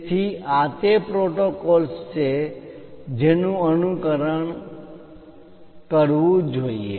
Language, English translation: Gujarati, So, these are the protocols which one has to follow